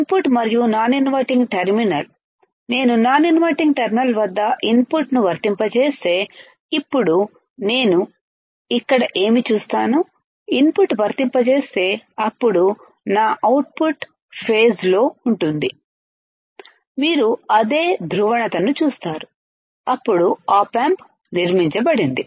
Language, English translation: Telugu, When the input and non inverting terminal, if I apply input at non inverting terminal, so now, what I will do ill apply input here then my output my output will be will be in phase, you see same polarity same polarity all right, then the opera op amp is fabricated